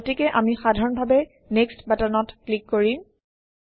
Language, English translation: Assamese, So we will simply click on the Next button